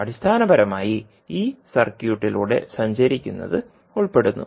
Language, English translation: Malayalam, Basically it involves walking through this circuit